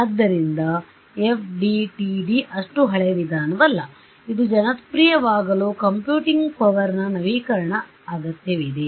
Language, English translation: Kannada, So, FDTD is not that old a method also its only a it needed a upgrade in computing power to become popular right